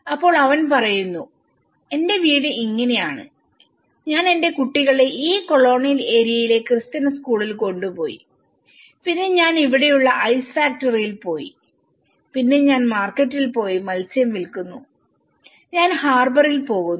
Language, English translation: Malayalam, Then he says my house is like this I took my children to the school in the Christian this colonial area and then I go to the ice factory here, and then I go to the market and sell the fish I go to the harbour